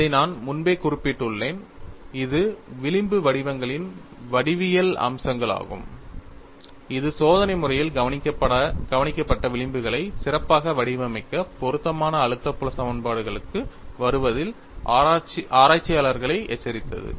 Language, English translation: Tamil, I have mentioned this earlier, it is a geometric feature of the fringe patterns that have alerted the researchers in arriving at a suitable stress filed equations to Model experimentally observed fringes better